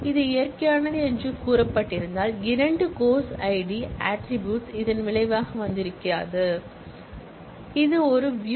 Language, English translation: Tamil, If it was said natural then the second course id attribute would not have come in the result, this is a showing